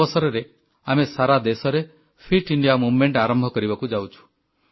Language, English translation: Odia, On this occasion, we are going to launch the 'Fit India Movement' across the country